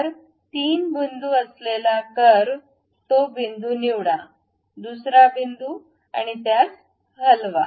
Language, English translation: Marathi, So, a 3 point arc pick that point, second point and move it